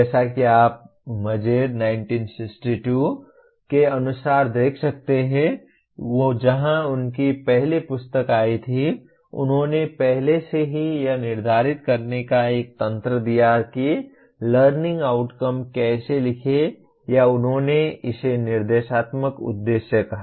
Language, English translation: Hindi, As you can see as per Mager 1962 where his first book came; they already gave a mechanism of defining how to write a learning outcome or he called it instructional objective